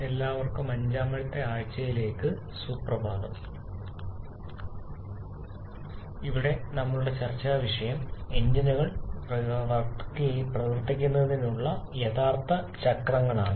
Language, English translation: Malayalam, Good morning everyone into the week number 5 where our topic of discussion is real cycles for reciprocating engines